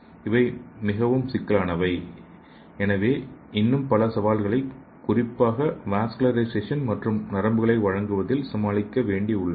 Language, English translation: Tamil, These are the most complex, and there are still many challenges to overcome, especially in achieving vascularization and innervations